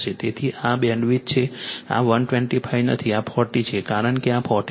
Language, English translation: Gujarati, So, this is the bandwidth this is not 125, this is 40, because you got this is 40